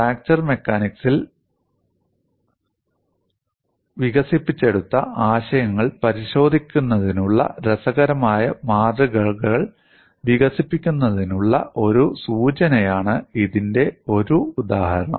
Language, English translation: Malayalam, One of the example problems provided a clue to develop interesting specimens for verifying concepts developing fracture mechanics